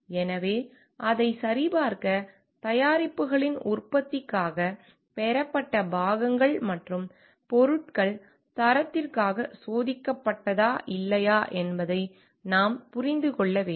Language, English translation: Tamil, So, to put a check on that, we have to understand whether the parts and materials received from for manufacturing of the products have been tested for quality or not